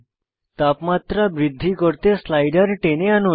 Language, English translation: Bengali, Let us drag the slider to increase the temperature